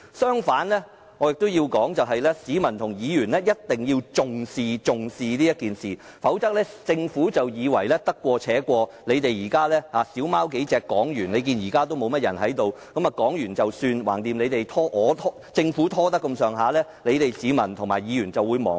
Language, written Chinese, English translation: Cantonese, 相反，我認為市民和議員一定要重視今次事件，否則政府會以為可以得過且過，而且會議廳內現在也沒多少議員，讓三數議員發言過後便可了事，反正只要有心拖延，市民和議員日後定會忘記。, I think Members and the public must take the incident seriously otherwise the Government may think that it can muddle through especially when it sees only a few Members in the Chamber . The Government may think that the matter will be over after several Members have spoken and that if it keeps delaying Members and the public will surely forget it sooner or later